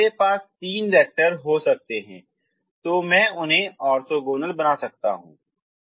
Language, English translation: Hindi, Now i may have i can make them orthogonal